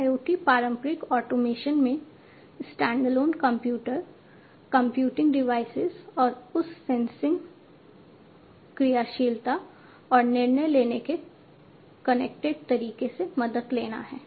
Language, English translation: Hindi, So, IIoT to me is the traditional automation with the help of standalone computers, computing devices and so on plus added to that sensing, actuation, and decision making, in a connected manner